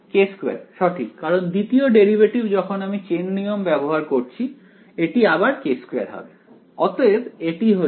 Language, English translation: Bengali, k squared right because the second derivative when I apply this chain rule, once again it will become k squared